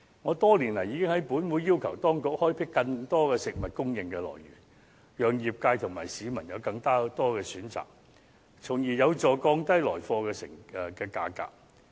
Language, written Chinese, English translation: Cantonese, 我多年來已在本會要求當局開闢更多食物供應來源，讓業界和市民有更多選擇，從而有助降低來貨的價格。, I have requested in this Council for years that the authorities explore more sources of food supply so that the industry and members of the public will have more choices thereby helping lower the source prices